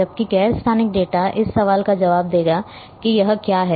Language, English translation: Hindi, Whereas the non spatial data will answer the question like what is it